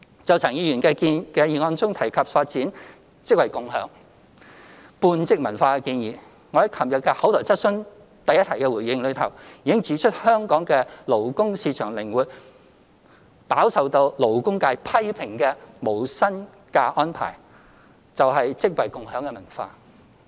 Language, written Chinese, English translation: Cantonese, 就陳克勤議員的議案中提及發展"職位共享"半職文化的建議，我在昨日第一項口頭質詢的回應中，已指出香港的勞工市場靈活，飽受勞工界批評的無薪假安排正是"職位共享"的文化。, With regard to the proposal of developing a half - time job - sharing culture mentioned in Mr CHAN Hak - kans motion as I pointed out in reply to the first oral question yesterday the labour market in Hong Kong is flexible and the arrangement of no pay leave much criticized by the labour sector is precisely a job - sharing culture